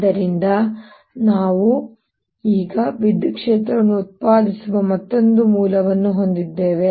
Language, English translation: Kannada, so now we have another source of producing electric field